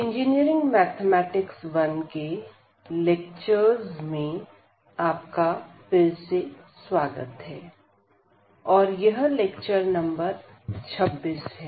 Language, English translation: Hindi, So, welcome back to the lectures on Engineering Mathematics – I, and this is lecture number 26